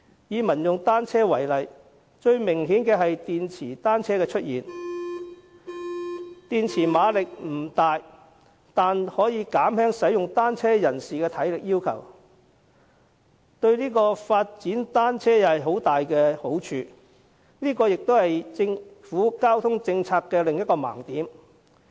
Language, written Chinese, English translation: Cantonese, 以民用單車為例，最明顯的是電池單車的出現，電池馬力不大，但可以減輕使用單車人士的體力要求，對於發展單車大有好處，這也是政府交通政策的另一盲點。, The emergence of pedelecs is a typical example . The power of the battery is not large yet it can lower the physical strength requirement on cyclists which is greatly favourable to the development of cycling . This is another blind spot of the transport policies of the Government